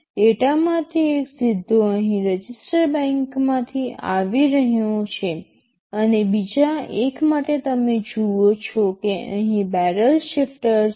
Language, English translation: Gujarati, OSo, one of the data is coming directly from the register bank here, and for the other one you see there is a barrel shifter sitting here